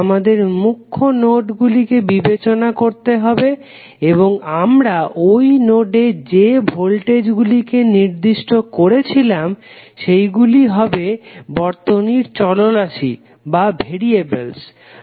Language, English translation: Bengali, We have to only take those nodes which are principal nodes into consideration and the voltages which we assign to those nodes would be the circuit variables for nodal analysis